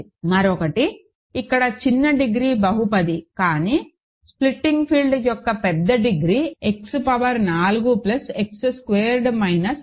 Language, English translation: Telugu, So, one more; so, here smaller degree polynomial, but bigger degree of the splitting field, what about X power 4 plus X squared minus 6, ok